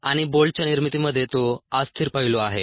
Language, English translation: Marathi, that is the unsteady aspect in the manufacture of the bolt